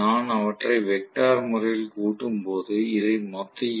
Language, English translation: Tamil, So this is going to be the vectorial sum